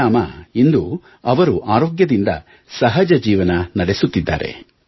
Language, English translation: Kannada, And as a result, he is leading a healthy, normal life today